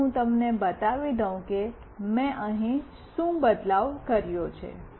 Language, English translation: Gujarati, Let me let me show you, what change I have done here